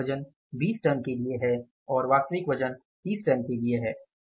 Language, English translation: Hindi, Standard weight is for the 20 tons and actual weight is for the 30 tons